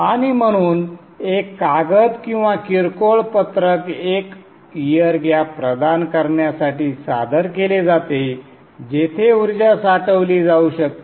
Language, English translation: Marathi, And therefore a paper or a milar sheet is introduced to provide air gap where the energy can be stored